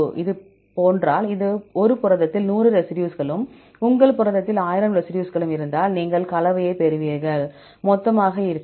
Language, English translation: Tamil, If this is the case, if there are 100 residues in a protein and 1,000 residues in your protein, right you will get the composition and total will be